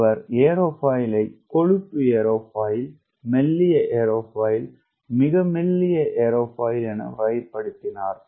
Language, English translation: Tamil, he characterized the aerofoil as fat aerofoil, thin aerofoil, very thin aerofoil